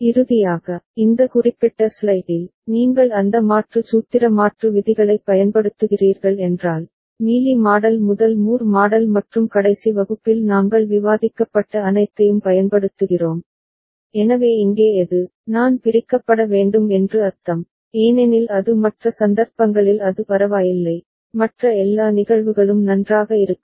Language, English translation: Tamil, And finally, on this particular slide, if you are using those conversion formula conversion rules ok, Mealy model to Moore model and all that we are discussed in the last class, so which one here, I mean need to be split, because it is for other cases it is ok, every other cases fine